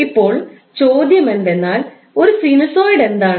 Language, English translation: Malayalam, Now the question would be like what is sinusoid